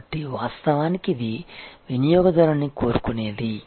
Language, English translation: Telugu, So, this is actually what the customer wants